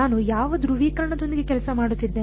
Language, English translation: Kannada, What polarization am I working with